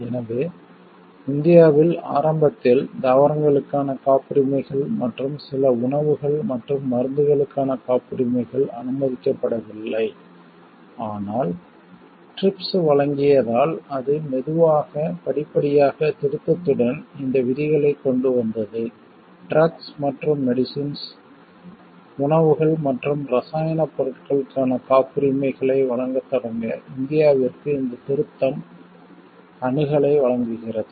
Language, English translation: Tamil, So, what we see for India initially the patents were plants and some foods and medicines were not allowed, but because TRIPS provided, it slowly by step by step with amendment, it brought in these provisions, This amendment provides access to India to start providing patents for drugs and medicines, foods and chemical products